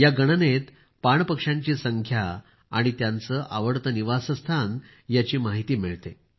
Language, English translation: Marathi, This Census reveals the population of water birds and also about their favorite Habitat